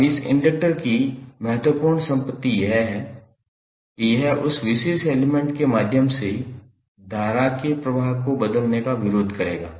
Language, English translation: Hindi, Now, important property of this inductor is that it will oppose to the change of flow of current through that particular element